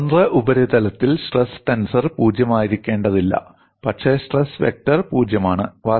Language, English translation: Malayalam, On a free surface, stress tensor need not be 0, but stress vector is necessarily 0